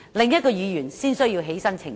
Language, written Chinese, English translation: Cantonese, 所以，他才需要澄清。, Hence he needs to make a clarification